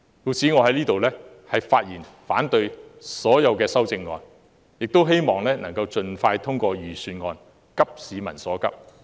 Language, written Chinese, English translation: Cantonese, 故此，我在此發言反對所有修正案，亦希望能盡快通過預算案，急市民所急。, Hence I speak in opposition to all the amendments and hope the Budget can be passed as soon as possible in order to address the pressing needs of the people